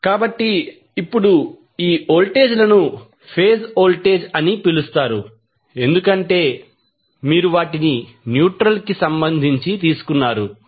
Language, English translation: Telugu, So, now, these voltages are called phase voltages because you have taken them with respect to neutral